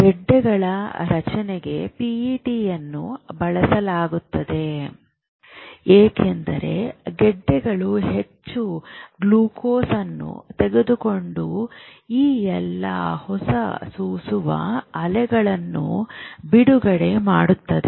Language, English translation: Kannada, Pet is also used for tumors because tumors tend to pick up more glucose and release all these emitting waves